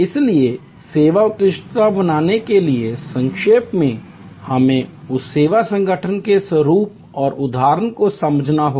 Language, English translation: Hindi, So, to summarize to create service excellence we have to understand the nature and objective of that service organization